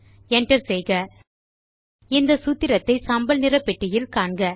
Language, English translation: Tamil, Press Enter Notice this formula in the Writer gray box